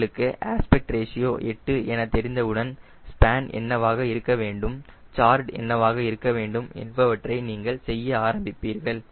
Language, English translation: Tamil, once you know the a aspect ratio eight then you just start doing what should be the span, what should be the chord